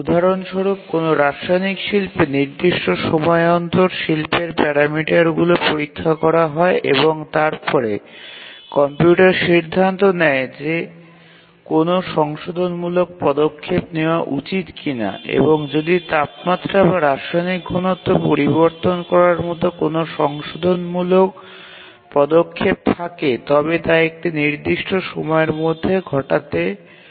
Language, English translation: Bengali, For example, let's say a chemical plant, the parameters of the plant are sensed periodically and then the computer decides whether to take a corrective action and if there is a corrective action like changing the temperature or chemical concentration and so on it does within certain time